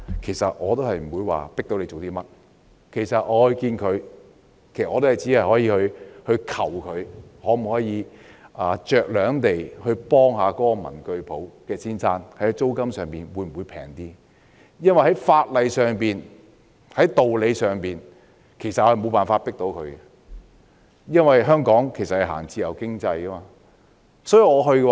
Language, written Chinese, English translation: Cantonese, 即使我與領展見面，我也只能求領展酌量幫助文具店老闆，看看在租金上可否便宜一點，因為在法例上和道理上，我們無法迫領展做甚麼，因為香港奉行自由經濟。, Even if I can meet with Link REIT I can only plead with Link REIT to help the owner of the stationery shop by demanding a slightly cheaper rent . After all in the legal context and based on reasons we cannot force Link REIT to do anything as Hong Kong upholds free economy